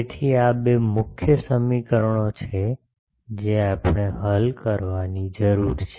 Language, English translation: Gujarati, So, these are the two main equations that we need to solve